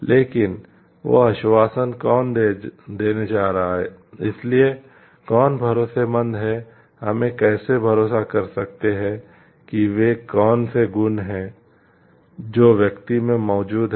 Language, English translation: Hindi, But who is going to give that assurance so who is like who is trustworthy, how can we trust what are the qualities which needs to be present in the person